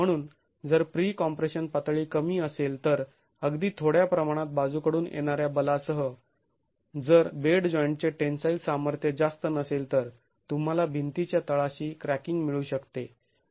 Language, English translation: Marathi, So, if the pre compression level is low then with even a small amount of lateral force if the bed joint tensile strength is not high you can have cracking at the base of the wall